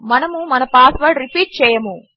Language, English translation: Telugu, We will not repeat our password